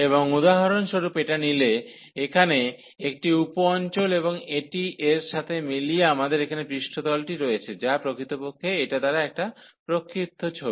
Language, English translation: Bengali, And this consider for example, one sub region here and these corresponding to this we have the surface here, which is actually the projection given by this one